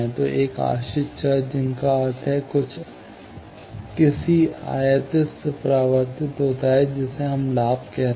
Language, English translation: Hindi, So, one dependent variable, that means, some reflected by some incident, that we are calling gain